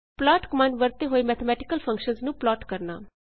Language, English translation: Punjabi, Plot mathematical functions using plot